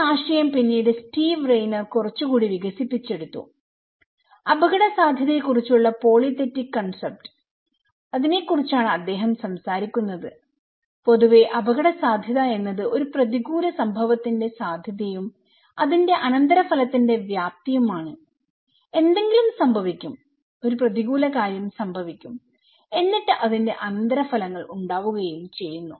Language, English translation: Malayalam, This idea was then little further developed by Steve Rayner, he was talking about polythetic concept of risk and that in generally, we consider risk is the probability of an adverse event and the magnitude of his consequence right, something will happen, an adverse event will happen and it has some consequences